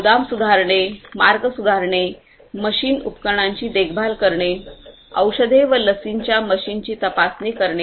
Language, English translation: Marathi, Improving warehousing, Optimizing routing, Maintenance of machines and equipment, Inspecting the machines of medicines and vaccines